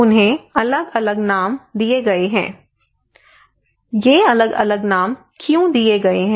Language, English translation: Hindi, Why they are given different names